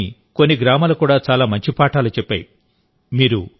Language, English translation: Telugu, Friends, some villages of Tripura have also set very good examples